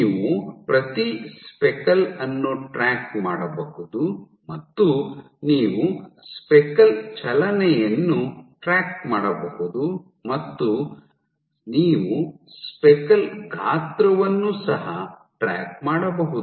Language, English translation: Kannada, So, you can track each speckle and you can track speckle movement you can track speckle movement and you can track speckle size